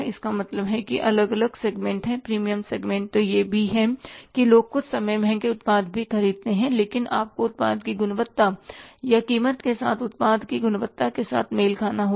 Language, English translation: Hindi, We have the premium segments also that people sometime buy the expensive products also but you have to match then the product with the quality or the quality of the product with the price